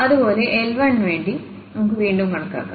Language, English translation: Malayalam, Similarly, for L 1 we can compute again